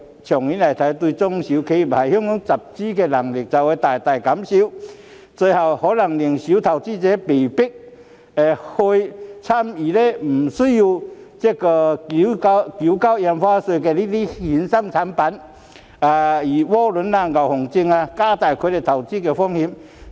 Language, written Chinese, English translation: Cantonese, 長遠來看，會大大降低中小企業在港集資的能力，最後更可能令小投資者被迫買賣不需要繳交印花稅的衍生產品，例如窩輪、牛熊證等，令他們的投資風險增加。, In the long run the ability of SMEs to raise funds in Hong Kong will be seriously undermined and it is likely that small investors will ultimately be forced to engage in the trading of derivative products that are Stamp Duty free including warrants Callable BullBear Contracts etc